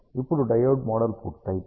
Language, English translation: Telugu, Now, once the diode model is done